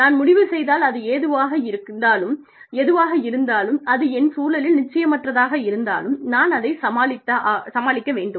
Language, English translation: Tamil, If i decide, that whatever it is, that is uncertain in my environment, is something, i can deal with